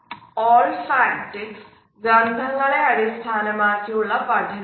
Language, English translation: Malayalam, Olfactics is based on our sense of a smell